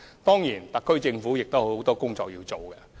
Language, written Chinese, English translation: Cantonese, 當然，特區政府還有很多工作需要進行。, There are of course still a lot of work for the HKSAR Government to do